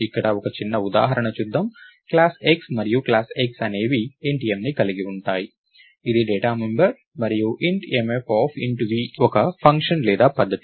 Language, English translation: Telugu, So, lets see a small example here, Class X and class X has int m which is a data member and int mf of int v which is a function or a method